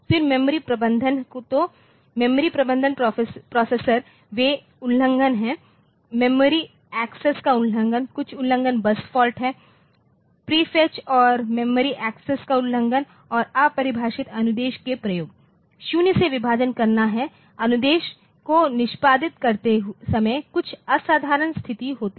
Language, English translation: Hindi, Then memory management so, memory management processor they same some violation the memory access there is some violation bus fault is prefetch and memory access violation and usage for undefined instruction divided by0